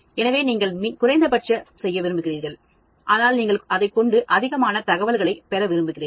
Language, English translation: Tamil, So, you would like to do minimum, but then you would like to get as much information as possible